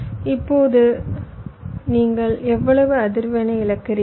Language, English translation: Tamil, so now how much frequency your loosing